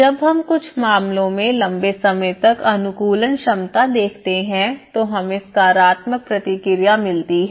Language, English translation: Hindi, But when we look at the longer run adaptability in some cases we have seen a positive response